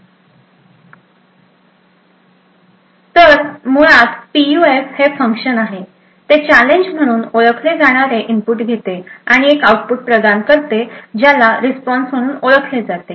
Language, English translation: Marathi, So, basically a PUF is a function, it takes an input known as challenge and provides an output which is known as the response